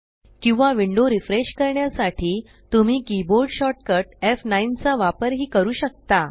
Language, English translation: Marathi, Or we can use the keyboard shortcut F9 to refresh the window